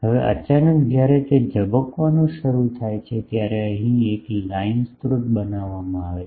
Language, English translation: Gujarati, Now suddenly when it starts getting flared a line sources is created here